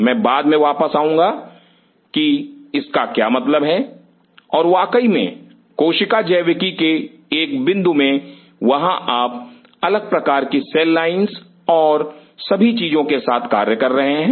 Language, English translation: Hindi, I will come later what does that mean and of course, in a point of cell biology there you are doing with different kind of cell lines and all the stuff